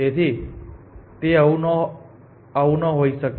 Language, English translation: Gujarati, So, this cannot be the case